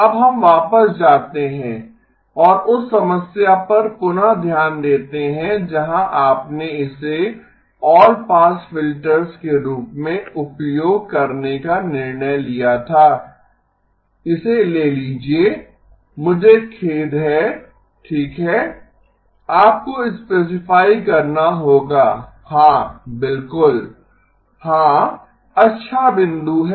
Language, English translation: Hindi, Now let us go back and relook at the problem where you decided to use it as all pass filters, take it I am sorry okay you will have to specify yes of course yeah good point